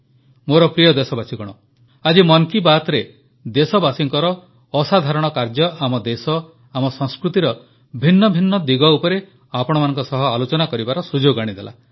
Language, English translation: Odia, In today's Mann Ki Baat, I have had the opportunity to bring forth extraordinary stories of my countrymen, the country and the facets of our traditions